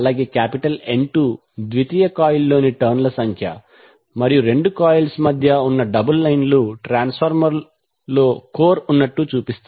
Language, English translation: Telugu, Number of turns in secondary coil as N 2 and the double lines in between two coils shows that the core is present in the transformer